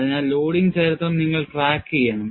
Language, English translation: Malayalam, So, you have to keep track of loading history